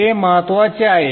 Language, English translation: Marathi, That is important